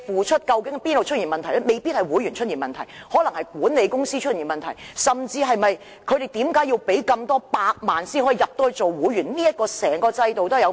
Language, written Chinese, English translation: Cantonese, 未必是會員的問題，可能是管理公司出現問題，甚至是他們須支付數百萬元才能成為會員這個制度本身存在問題。, Well it may not be the problem of their members . The problem may lie in the management companies of private clubs . Or it is possible that the root of the problem lies in the system of requiring a person to pay several millions to become a member of a private club